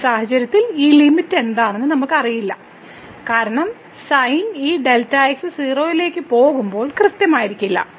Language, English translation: Malayalam, So, in this case here we do not know what is this limit because the sin is not definite when this delta goes to 0